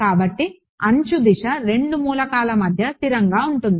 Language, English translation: Telugu, So, the edge direction is consistent between both the elements